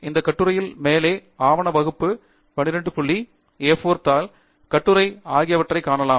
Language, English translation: Tamil, You can see that the article will have at the top document class, 12 point, A4 paper, Article